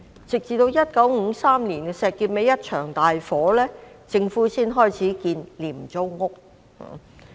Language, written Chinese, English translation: Cantonese, 直至1953年石硤尾發生一場大火，政府才開始興建廉租屋。, It was not until 1953 when a major fire had broken out in Shek Kip Mei that the Government started to construct low - cost housing estates